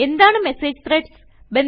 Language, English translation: Malayalam, What are Message Threads